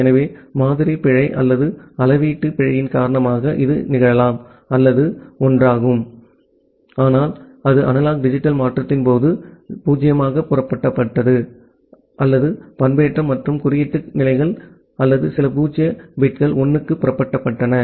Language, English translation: Tamil, So, it may happen because of the sampling error or the quantization error some bit ideally or it was one but that got flipped to 0 during this analog digital conversion or the modulation and coding states or some zero bits got flipped to 1